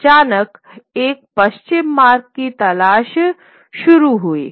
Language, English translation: Hindi, Suddenly start looking for a westward route